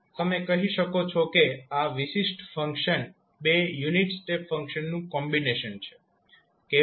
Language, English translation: Gujarati, So you can say that this particular function is combination of two unit step function, how